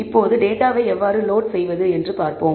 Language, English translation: Tamil, Now, let us see how to load the data